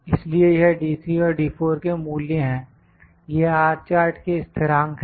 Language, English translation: Hindi, So, this is the value of D3 and R chart this is the R chart constants